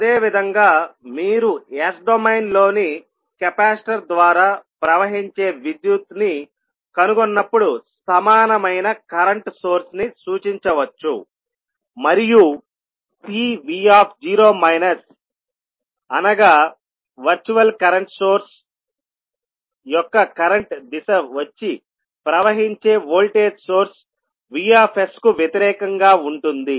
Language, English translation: Telugu, Similarly, the equivalent current source will also be represented when you are finding out the current flowing through the capacitor in s domain and C v naught that is the virtual current source will have the direction of current opposite to the flowing from the voltage source that is V s